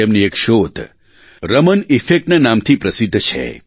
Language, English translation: Gujarati, One of his discoveries is famous as the Raman Effect